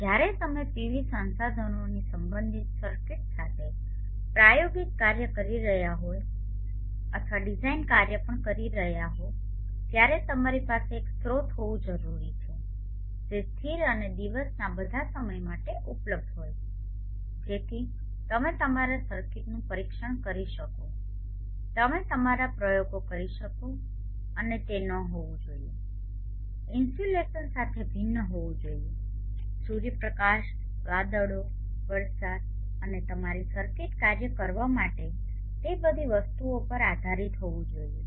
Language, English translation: Gujarati, PV source emulation is very important when you are doing experimental work or even design work with circuits related to B resources you need to have a source which is stable and available all time of the day so that you can test your circuit you can perform your experiments and it should not be varying with the insulation dependent on the sunlight clouds rain and all those things in order for your circuit to function therefore having a stable source whenever needed any time of the day is very important if you have to do your experimentation and circuits and design